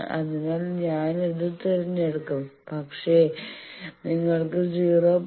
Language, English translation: Malayalam, So, I will choose that, but if you say that 0